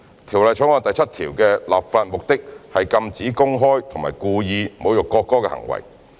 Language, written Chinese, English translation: Cantonese, 《條例草案》第7條的立法目的是禁止公開及故意侮辱國歌的行為。, The legislative intent of clause 7 is to prohibit insulting the national anthem publicly and intentionally